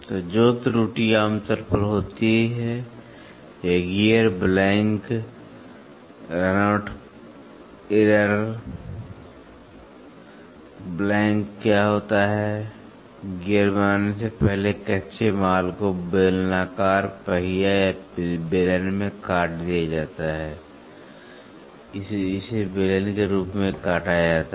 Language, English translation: Hindi, So, the error which generally happens or gear blank run out error, what is a blank, before we manufacture a gear, before we manufacture any gear the raw material is cut into a cylindrical wheel or a cylinder it is cut as a cylinder